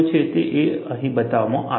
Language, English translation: Gujarati, And, that is what is depicted here